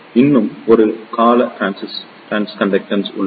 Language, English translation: Tamil, There is one more term trans conductance